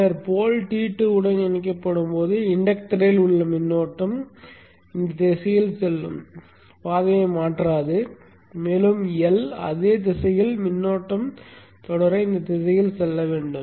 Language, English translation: Tamil, And then when the pole is connected to T2, the current in the inductor which was going in this direction going down will not change path and it has to follow in this direction to continue to have the current flow in the same direction in the L